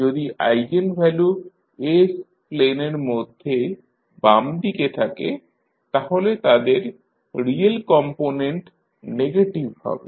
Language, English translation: Bengali, If the eigenvalues are on the left inside of the s plane that means if they have the real component negative